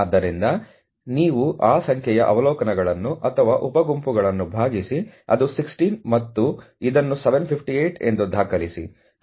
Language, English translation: Kannada, So, you divide that where the number of observations or sub groups that is 16 and record this is 758